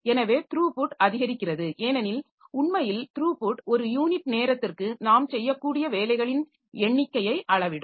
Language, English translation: Tamil, So, increased throughput because throughput actually measures the number of jobs that we can do per unit time